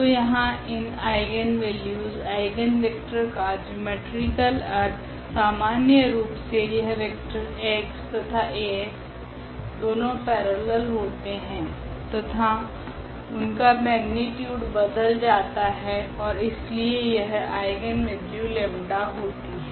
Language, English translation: Hindi, So, here also the geometrical meaning of this eigenvalues eigenvector in general is that of this vector this x and this Ax both are parallel and their magnitude will change and therefore, we have this eigenvalue lambda